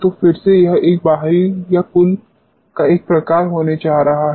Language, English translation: Hindi, So, again this is going to be a sort of a external or total